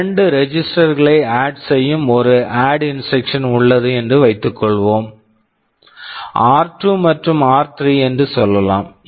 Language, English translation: Tamil, Ssuppose there is an add ADD instruction which adds 2 registers, let us say r 2 and r 3